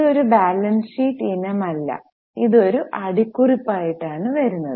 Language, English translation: Malayalam, This is not a balance sheet item, it just comes as a footnote